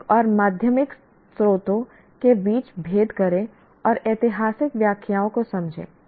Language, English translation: Hindi, Distinguished between primary and secondary sources and understand historical interpretations